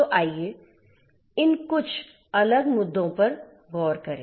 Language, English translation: Hindi, So, let us look at some of these different issues